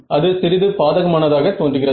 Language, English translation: Tamil, So, that seems like a bit of a disadvantage